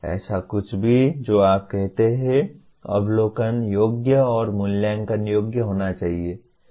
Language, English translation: Hindi, So anything that you state should be observable and assessable